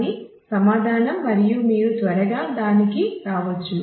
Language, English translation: Telugu, So, that is answer and you can quickly come to that